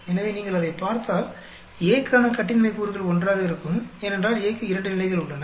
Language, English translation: Tamil, So, interestingly if you look at it, the degrees of freedom for A will be 1, because we have two levels for A